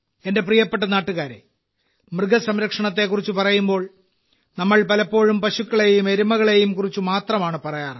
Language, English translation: Malayalam, My dear countrymen, when we talk about animal husbandry, we often stop at cows and buffaloes only